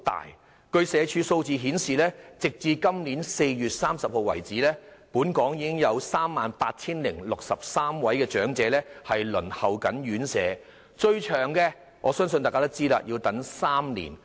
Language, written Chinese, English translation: Cantonese, 社會福利署的數字顯示，截至本年4月30日為止，本港已有 38,063 位長者正在輪候院舍，而相信大家也知道，最長的輪候年期是3年。, According to the figures of the Social Welfare Department SWD as at 30 April this year there were 38 063 elderly persons waiting for residential care places and we all know that the longest waiting time is three years